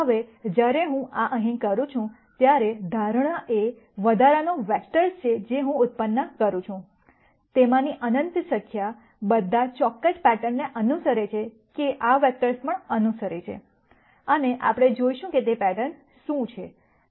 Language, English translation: Gujarati, Now when I do this here, the assumption is the extra vectors that I keep generating, the infinite number of them, all follow certain pattern that these vectors are also following and we will see what that pattern is